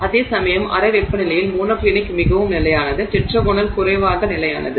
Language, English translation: Tamil, So, therefore, whereas at room temperature previously monoclinic was more stable, tetragonal was less stable